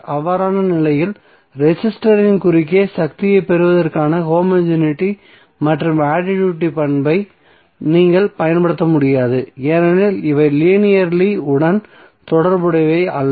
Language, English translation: Tamil, So in that case you cannot apply the homogeneity and additivity property for getting the power across the resistor because these are not linearly related